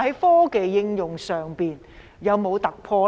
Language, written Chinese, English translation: Cantonese, 科技應用上有否突破？, Are there any breakthroughs in applying technologies?